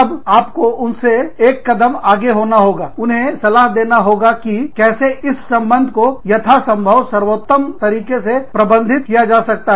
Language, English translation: Hindi, Then, you have to be, ten steps ahead of them, to advise them, as to how, this relationship can be managed, as best as possible